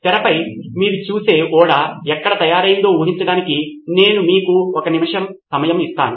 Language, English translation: Telugu, I will give you a minute to guess where the ship that you see on the screen was made